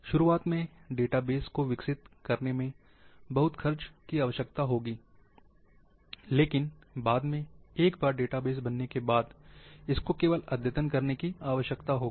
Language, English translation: Hindi, Initialy, the database development, will require lot of expenditure, but later on, once the database is there, only updating will be required